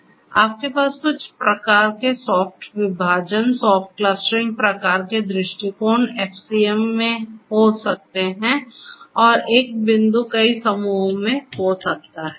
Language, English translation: Hindi, So, that is how you will have some kind of a soft partitioning, soft clustering kind of approach and the same point can belong to multiple clusters in FCM